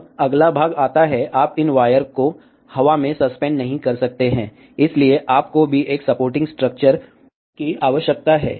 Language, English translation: Hindi, Now, comes the next part, you cannot have these wires suspended in the air, so you too need a supporting structure